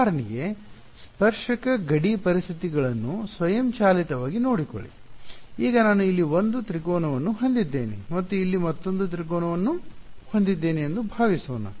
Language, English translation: Kannada, Take automatically take care of tangential boundary conditions for example, now supposing I have 1 triangle over here and another triangle over here